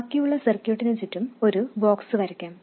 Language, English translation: Malayalam, Let me draw a box around the rest of the circuit